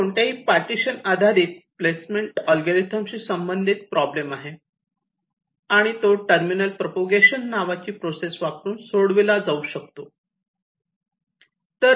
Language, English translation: Marathi, fine, now there is an associated problem with any partitioning based placement algorithm, and this can be solved by using a process called terminal propagation